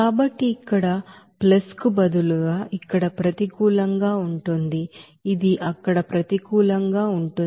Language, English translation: Telugu, So here instead of plus it will be negative here it will be negative there